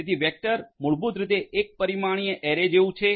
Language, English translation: Gujarati, So, vector is basically like a one dimensional array